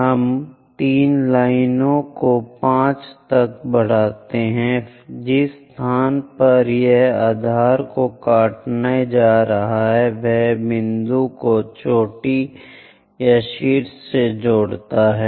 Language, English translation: Hindi, To do that if we are extending 3 line all the way to 5 the place where it is going to cut the base from there connect the point all the way to peak or apex